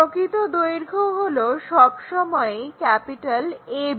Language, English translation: Bengali, The true length always be a b